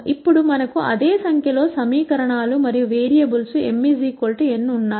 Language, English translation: Telugu, Now we have the same number of equations and variables m equal to n